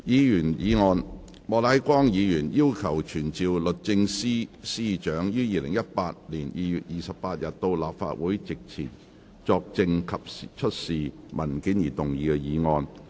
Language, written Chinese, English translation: Cantonese, 議員議案：莫乃光議員要求傳召律政司司長於2018年2月28日到立法會席前作證及出示文件而動議的議案。, Members motions . Motion to be moved by Mr Charles Peter MOK to summon the Secretary for Justice to attend before the Council on 28 February 2018 to testify and produce documents